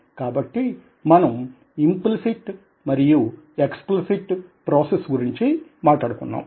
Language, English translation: Telugu, so we talked about implicit and explicit processing